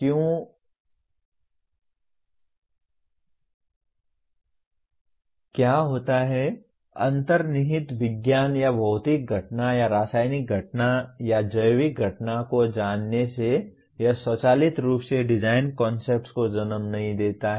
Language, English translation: Hindi, What happens is, knowing the underlying science or physical phenomena or chemical phenomena or biological phenomena it does not automatically lead to design concepts